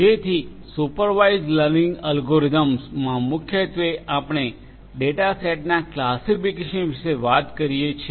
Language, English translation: Gujarati, So, in supervised learning algorithm, primarily we are talking about classification of data sets